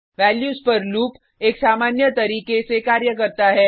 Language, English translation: Hindi, The loop on values works in a similar way